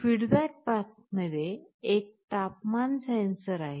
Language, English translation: Marathi, There will be a temperature sensor in the feedback path